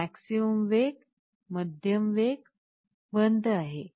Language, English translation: Marathi, This is maximum speed, medium speed, off